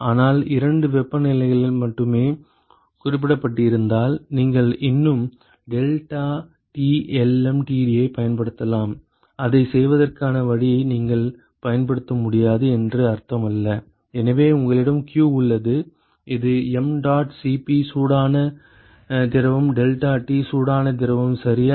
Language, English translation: Tamil, But then if only two temperatures are specified you can still use deltaT lmtd it does not mean that you cannot use it the way to do that is: So, you have q is mdot Cp hot fluid deltaT hot fluid ok